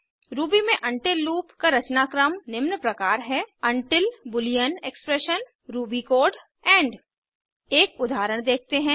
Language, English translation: Hindi, The syntax of the while loop in Ruby is as follows: while boolean expression ruby code end Let us look at an example